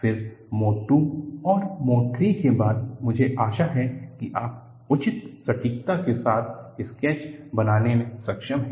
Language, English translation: Hindi, Then, followed by Mode II and Mode III, I hope you have been able to make the sketch with reasonable accuracy